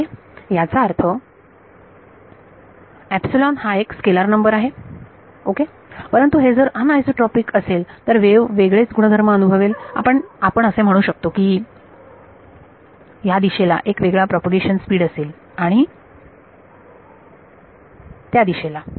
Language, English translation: Marathi, Ok; that means, epsilon is a scalar number ok, but if it is anisotropic then the wave experiences different property let us say different propagation speed in this direction that direction